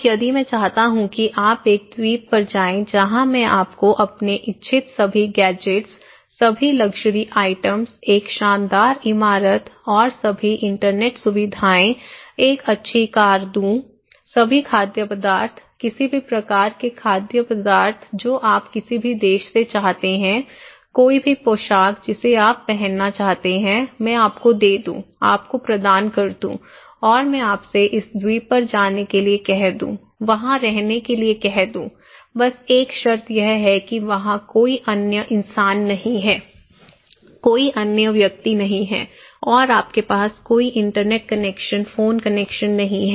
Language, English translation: Hindi, Now, if I want you to go to an island, where I can give you all the gadgets you want, all the luxury items, a swanky building and all the Internet facilities, a good car but all the foods, any kind of foods you want from any country, any dress you want to wear, want to have, I can give you, provide you and I ask you to go to an island, live there, a condition is that there is no other human being, no other people there and you have no internet connection, phone connections